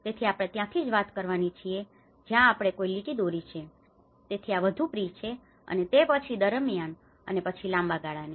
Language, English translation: Gujarati, So, we are talking from that is where we draw a line, so this is more of pre and then during and then a long term